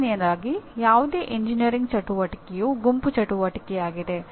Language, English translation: Kannada, First thing is any engineering activity is a group activity